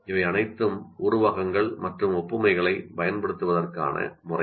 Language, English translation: Tamil, These are all the methods of using similes and analogies